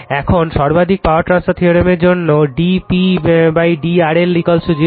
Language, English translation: Bengali, Now, for maximum power transfer theorem d P upon d R L is equal to 0 right